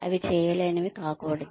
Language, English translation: Telugu, They should not be undoable